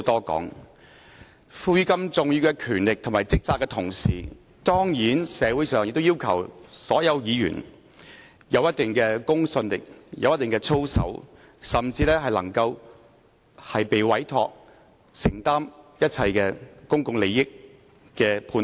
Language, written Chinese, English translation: Cantonese, 在獲賦予如此重要的權力和職責的同時，當然，社會上亦要求所有議員具備一定的公信力和操守，甚至受委託和承擔，作出一切關乎公共利益的判斷。, While being given such important powers and responsibilities certainly all Members are also expected by the community to have the necessary credibility and integrity and be entrusted and committed to make all judgment relating to public interest